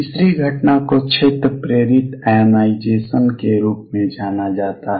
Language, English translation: Hindi, Third of phenomena which is known as field induced ionization